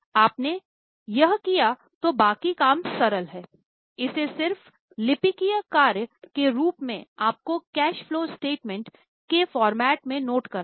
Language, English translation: Hindi, Once you have done that, rest of the job is very simple, it is just a clerical work you have to note it in the format as a cash flow set